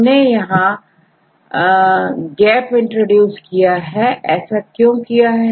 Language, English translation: Hindi, Now, if you introduce gap why do you introduce gaps